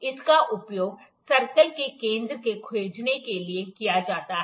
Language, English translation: Hindi, This is used to find the center of the circle